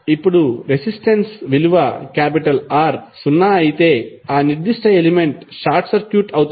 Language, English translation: Telugu, Now, if resistance value is R is zero it means that, that particular element is short circuit